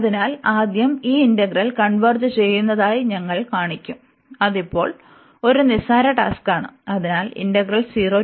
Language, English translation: Malayalam, So, first we will show that this integral converges, which is a trivial task now